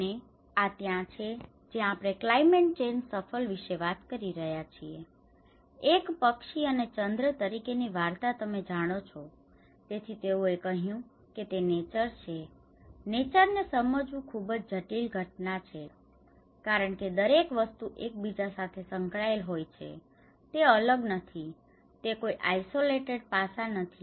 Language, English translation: Gujarati, And this is where we talk about the climate change shuffle, as a bird and moon story you know so, they said that it is a nature, it is a very complex phenomenon to understand nature because each and everything is linked with another thing, it is not individual, it is not an isolated aspect